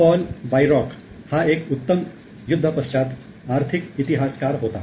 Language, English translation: Marathi, So, Paul Bayrock was a great post war economic historian